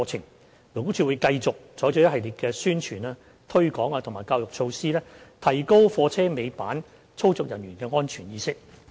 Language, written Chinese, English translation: Cantonese, 勞工處會繼續採取一系列宣傳、推廣及教育措施，提高貨車尾板操作人員的安全意識。, LD will continue to promote the safety awareness of tail lift operators through various publicity promotion and education initiatives